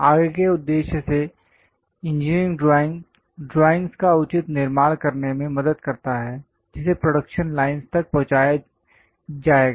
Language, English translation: Hindi, Further purpose engineering drawing helps to create proper construction of drawings and that will be delivered to production lines